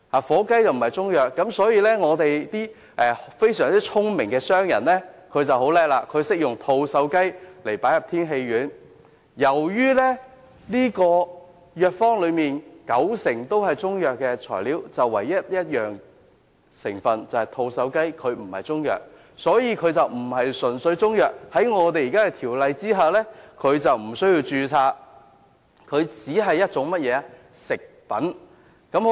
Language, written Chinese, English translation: Cantonese, 火雞並非中藥，因此，非常聰明的商人便在製造天喜丸時加入吐綬雞，於是，藥方內雖然有九成材料均屬中藥，但有一種成分吐綬雞不屬於中藥，因此便不是純粹由中藥材製成，根據現行《條例》無須註冊，只視作食品。, Since turkey is not regarded as a kind of Chinese medicine these smart businessmen add turkey to make Tianxi pills . Though 90 % of the ingredients in the prescription are Chinese medicines the pill is not made solely of Chinese medicines because one of the ingredients turkey is not Chinese medicine . According to the existing CMO registration of the pill is not required and it is merely regard as a food product